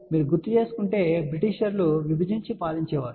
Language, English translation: Telugu, If you recall Britisher's used to say divide and rule